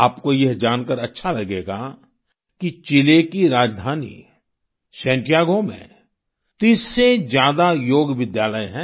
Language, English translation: Hindi, You will be pleased to know that there are more than 30 Yoga schools in Santiago, the capital of Chile